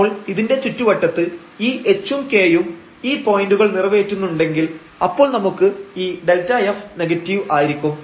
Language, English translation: Malayalam, So, in their neighborhood when this h and k satisfies these points then we have this delta f negative